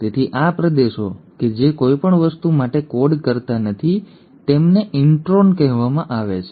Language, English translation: Gujarati, It is, so these regions which do not code for anything are called as the “introns”